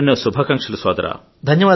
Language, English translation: Telugu, Many good wishes Bhaiya